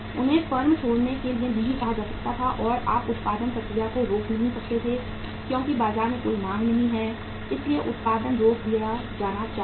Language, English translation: Hindi, They cannot be say asked to leave the firm and you cannot afford to stop the production process because there is no demand in the market so production should be stopped